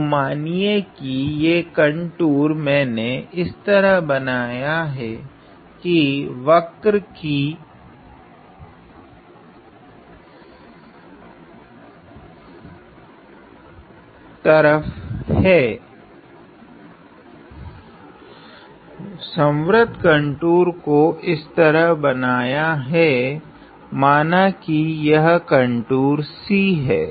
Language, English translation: Hindi, So, let me just say I am going to draw the contour in such a way this curve; close contour in such a way that draw let me say that this contour is C